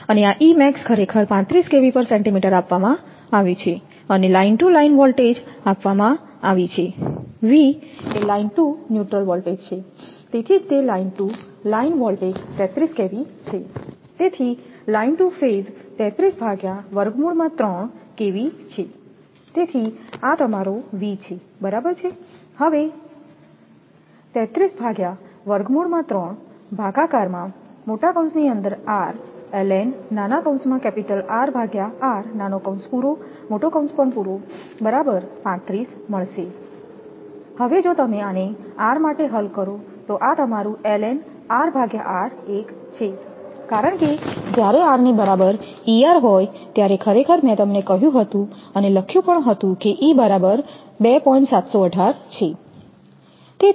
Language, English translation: Gujarati, And this E max actually given 35kV per centimeter and line to line voltage is given V is equal to line to neutral that is why it is line to line voltage is 33kV, so line to phase is 33 by root 3 kV, so this is your V right, therefore, 33 upon root 3 then r into ln R upon r is equal to 35